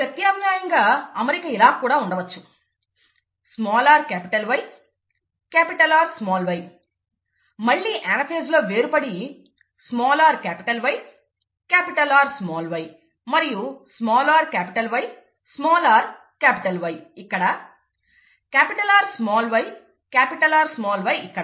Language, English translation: Telugu, Alternatively, if the arrangement is like this, small r capital Y capital R small y, then during anaphase, they segregate out resulting in small r capital Y, capital R small y and small r capital Y, small r capital Y here, capital R small y capital R small y here